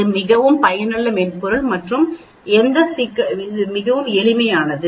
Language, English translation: Tamil, It is quite useful software and this problem is quite simple